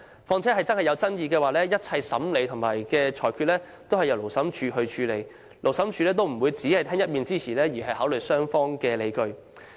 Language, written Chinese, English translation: Cantonese, 況且，如有爭議，審理和裁決工作會由勞審處處理，勞審處不會只聽一面之詞，而是會考慮雙方的理據。, Besides in case of disputes the Labour Tribunal will be responsible for conducting the trial and making a ruling . It will not just listen to one - sided claims; instead it will consider the justifications raised by both parties